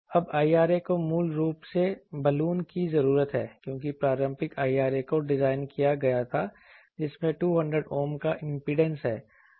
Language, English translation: Hindi, Now, IRA basically needs a Balun typically, because the conventional IRA that was designed that has an impedance of 200 Ohm